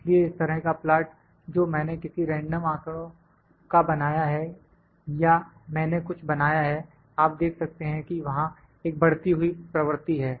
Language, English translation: Hindi, So, this kind of plot which I have just made of just picked some random data or I am just plotted something, you can see there is an increasing trend